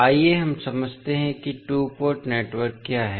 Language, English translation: Hindi, So, let us understand what two port network